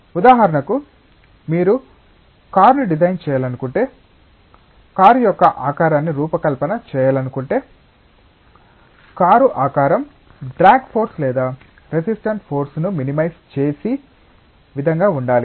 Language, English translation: Telugu, For example, if you want to design a car, design the shape of a car, the shape of a car should be such that it should minimise the drag force or the resistance force